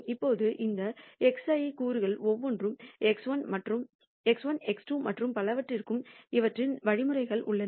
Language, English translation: Tamil, Now each of these x I components x 1, x 2 and so on have their respective means